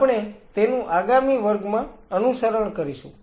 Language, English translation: Gujarati, We will follow it up in the next class